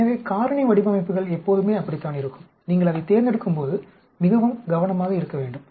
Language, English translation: Tamil, So factorial designs are always like that and it you have to be very careful when you select it